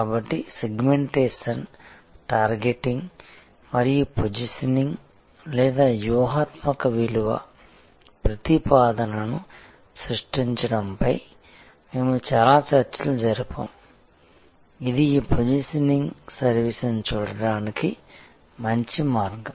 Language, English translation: Telugu, So, you remember we had lot of discussion on segmentation, targeting and positioning or creating the strategic value proposition, which is a better way to look at this positioning the service